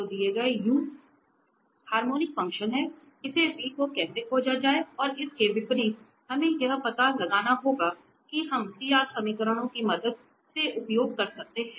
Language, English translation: Hindi, So, given u has harmonic function, how to find this v and vice versa given we have to find u that we can get using with the help of CR equations